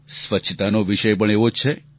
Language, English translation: Gujarati, Cleanliness is also similar to this